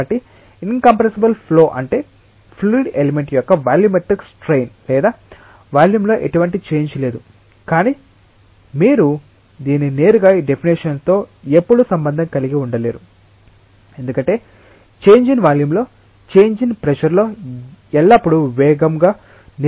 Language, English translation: Telugu, So, incompressible flow means that there is no volumetric strain of the fluid element there is no change in volume, but you cannot directly always relate it with this definition, because the change in volume may not always be due to change in pressure directly